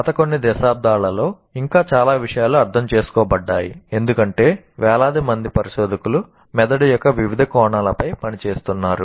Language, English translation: Telugu, In the last several decades, there is a lot more that has been understood because thousands and thousands of researchers are working on various facets of the brain